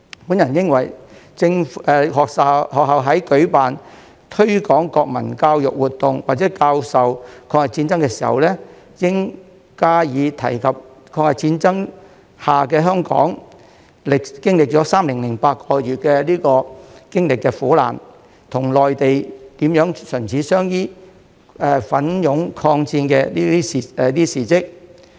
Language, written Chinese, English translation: Cantonese, 我認為學校在舉辦推廣國民教育活動或教授抗日戰爭的歷史時，應加以提及在抗日戰爭下的香港經歷3年8個月的苦難，與內地如何唇齒相依、奮勇抗戰的事蹟。, I think when organizing activities promoting national education or teaching the history of the War of Resistance the schools should mention the three years and eight months of misery Hong Kong suffered during the War of Resistance and the events showing how Hong Kong and the Mainland depended on each other and bravely fought against the aggressors